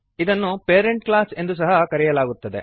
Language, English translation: Kannada, It is also called as parent class